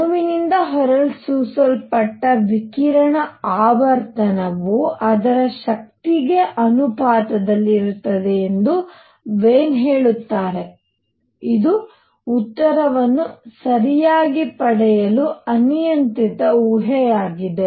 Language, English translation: Kannada, Wien says that the radiation frequency emitted by a molecule is proportional to its energy, this is an arbitrary assumption just to get the answer all right